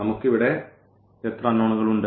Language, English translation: Malayalam, How many unknowns do we have here